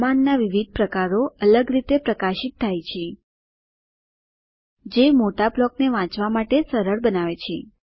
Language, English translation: Gujarati, Different types of commands are highlighted differently, which makes it easier to read large blocks of code